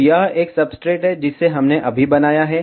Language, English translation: Hindi, So, this is a substrate, which we made right now